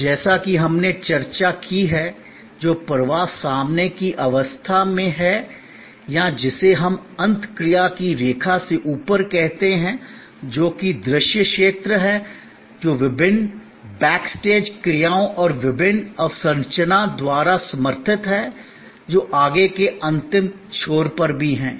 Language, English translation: Hindi, And as we have discussed, the flow which is in the front stage or what we call above the line of interaction, which is visible area is supported by different back stage actions and different infrastructure, which are even at the further back end